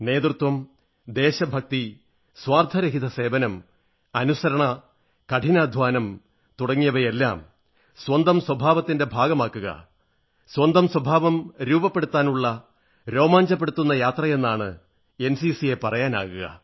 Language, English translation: Malayalam, NCC means, cultivating the qualities of Leadership, patriotism, selfless service discipline & hard work as an integral part of one's character; the thrilling journey of imbibing them into one's habits